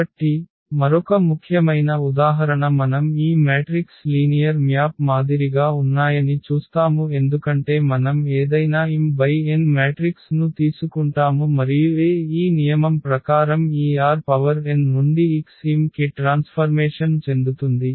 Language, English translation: Telugu, So, another very important example we will see that these matrices are also like linear maps because of the reason we take any m cross n matrix and A is the transformation from this R n to X m by this rule here that if we multiply A to this x; x is an element from this R n then we will get element a in R m